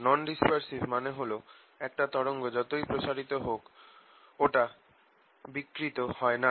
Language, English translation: Bengali, by non dispersive i mean a wave that does not distort as it moves